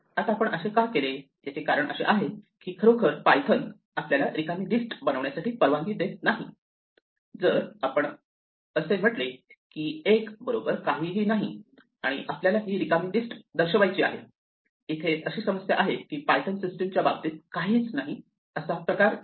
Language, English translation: Marathi, Now the reason that we have to do this is because actually python does not allow us to create an empty list if we say something like l is equal to none and we want this to denote the empty list the problem is that none does not have a type as far as pythonÕs value system is concerned